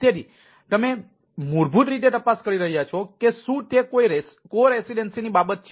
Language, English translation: Gujarati, so you are basically cross checking that whether it is ah, some co residency thing